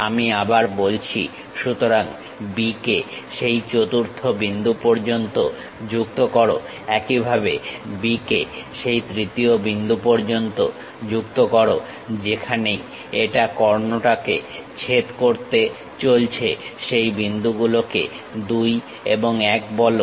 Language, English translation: Bengali, I repeat, so, join B to that fourth point similarly join B to third point wherever it is going to intersect the diagonal call those points 1 and 2